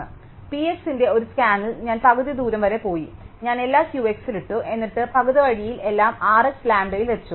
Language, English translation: Malayalam, So, in one scan of P x I go up to half way and I put everything in Q x and then in half way point I put everything in R x and I am done